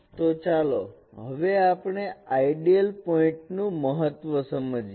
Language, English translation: Gujarati, So let us understand the meaning of an ideal point